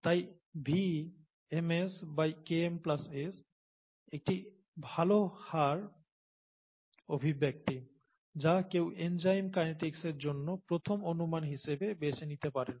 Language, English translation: Bengali, So VmS by Km plus S is a good rate expression that one can choose as a first approximation for enzyme kinetics, okay